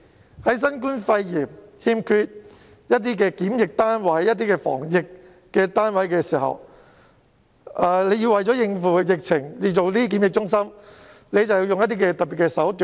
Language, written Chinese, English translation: Cantonese, 面對新冠肺炎疫情，檢疫及防疫單位不足，政府要為應付疫情而興建檢疫中心，便必須採用特別手段。, Faced with the shortage of quarantine units amidst the outbreak of the novel coronavirus pneumonia the Government must take special means if it wants to develop quarantine centres to cope with the outbreak